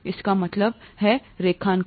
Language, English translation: Hindi, What does this mean graphically